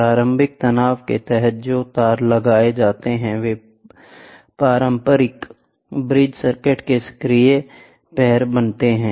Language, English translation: Hindi, The wires that are mounted under initial tension form the active legs of a conventional bridge circuit